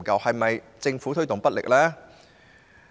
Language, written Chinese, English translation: Cantonese, 是否政府推動不力呢？, Is the Governments impetus too weak?